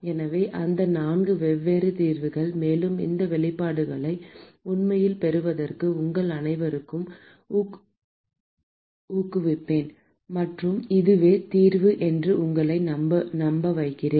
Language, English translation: Tamil, So, those are the four different solutions; and I would encourage all of you to actually derive these expressions and convince yourself that this is the solution